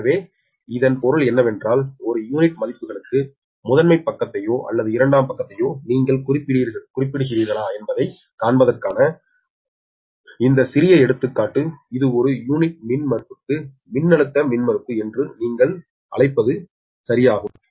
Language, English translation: Tamil, right, so that means this small example you to you, just to show that, whether you take, refer to primary side or secondary side, on per unit values, this, this your, what you call the impedance per unit impedance